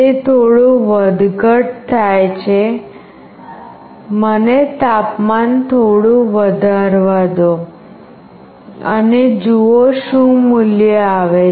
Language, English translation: Gujarati, It is little bit fluctuating Let me increase the temperature a bit and see what value comes